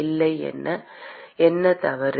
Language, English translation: Tamil, What is wrong